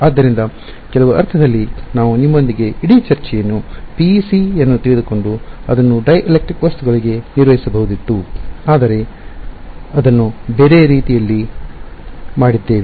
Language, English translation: Kannada, So, in some sense it is the easier thing we could have started the whole discussion with you know PEC and then built it to dielectric objects, but we have done in that other way